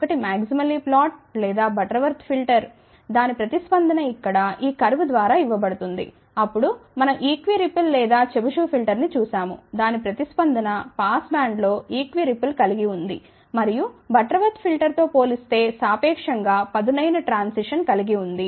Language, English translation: Telugu, One was maximally flat or Butterworth filter, the response of that was given by this curve here; then we looked into equi ripple or Chebyshev filter, the response of that has equi ripple in the past band and then relatively sharper transition compared to the Butterworth filter